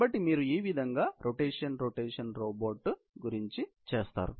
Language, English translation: Telugu, So, that is how you do the rotation rotation robot